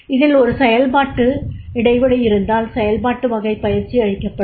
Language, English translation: Tamil, So if there is a functional gap then the functional type of training will be given